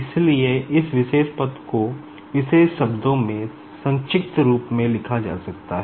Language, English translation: Hindi, So, this particular term, this particular term can be written like this in a short form